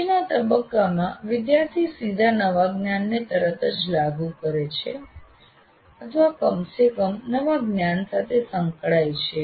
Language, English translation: Gujarati, And then what you do in the next stage, the student directly applies the new knowledge immediately or at least gets engaged with the new knowledge